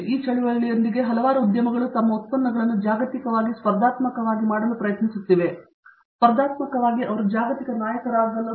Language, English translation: Kannada, With that movement, a lot of industries are trying to make their products globally competitive and not only globally competitive they would like to be global leaders